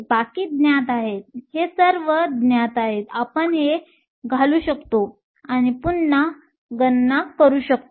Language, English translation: Marathi, This is known; these are all known, we can put this and recalculate